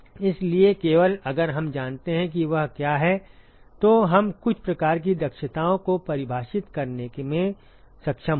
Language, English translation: Hindi, So, only if we know what that is we will be able to define some sort of efficiencies